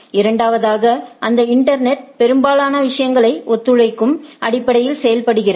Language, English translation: Tamil, Secondly, that internet works most of the things works on a cooperating basis